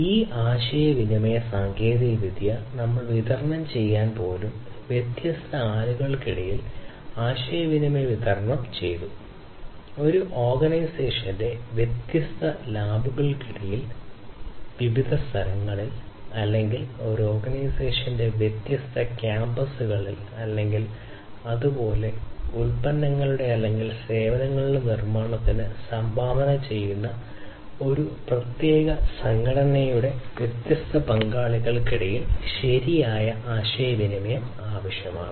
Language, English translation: Malayalam, And this communication technology is required even to distribute we have distributed communication between different people, distributed communication between different people, distributed communication between the different labs of the same organization, distributed communication across the different locations, or different campuses of the same organization or even it is also required for having proper communication between the different partners of a particular organization, who contribute to the manufacturing of the products or the services